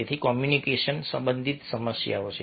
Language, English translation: Gujarati, so communication related problems are there